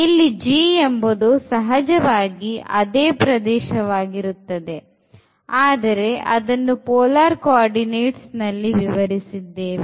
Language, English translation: Kannada, And this G is basically the same the same region naturally, but now it is described in terms of the polar coordinates